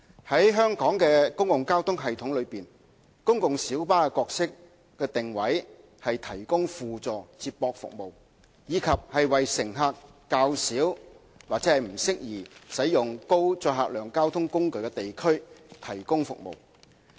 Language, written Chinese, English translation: Cantonese, 在香港的公共交通系統中，公共小巴的角色定位是提供輔助接駁服務，以及為乘客較少或不適宜使用高載客量交通工具的地區提供服務。, In the public transport system of Hong Kong the role of PLBs is to provide supplementary feeder service and to serve areas with relatively low passenger demand or where the use of high - capacity transport modes is not suitable